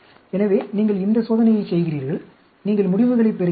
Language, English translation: Tamil, So, you do this experiment, and you get the results